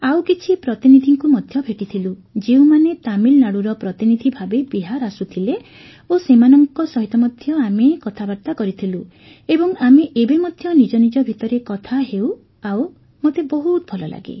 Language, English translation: Odia, And I also met some delegates who were coming to Bihar from Tamil Nadu, so we had a conversation with them as well and we still talk to each other, so I feel very happy